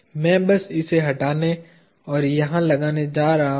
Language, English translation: Hindi, I am just going to remove this and insert it over here